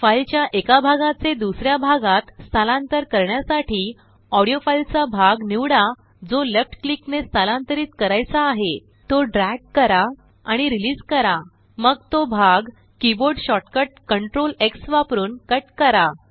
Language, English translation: Marathi, To move one segment of audio to another part, select the part of the audio that needs to be moved by left click, drag and then release, then cut that part by using the keyboard shortcut Ctrl+X